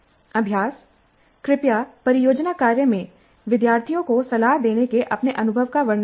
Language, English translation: Hindi, And please describe your experience in mentoring students in the project work